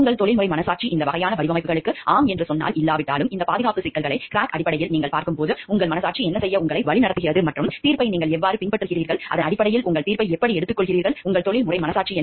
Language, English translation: Tamil, And whether your professional conscience says yes to these type of designs or not and what is your conscience which directs you to do when you see these safety issues in terms of crack, and how you follow the judgment, how you take your judgment based on the your professional conscience